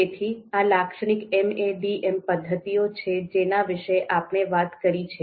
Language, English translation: Gujarati, So this is typically the you know the MADM methods that we have talked about